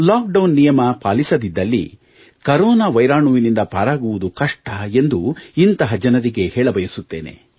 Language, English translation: Kannada, To them I will say that if they don't comply with the lockdown rule, it will be difficult to save ourselves from the scourge of the Corona virus